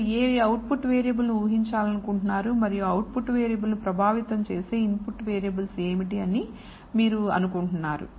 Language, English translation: Telugu, Which is the output variable that you want to predict and what are the input variables that you think are going to affect the output variable